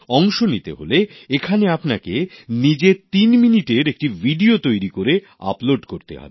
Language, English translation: Bengali, To participate in this International Video Blog competition, you will have to make a threeminute video and upload it